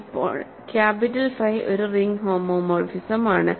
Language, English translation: Malayalam, Now, capital phi is a ring homomorphism